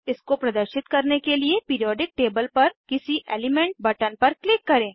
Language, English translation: Hindi, To display it, click on any element button on the periodic table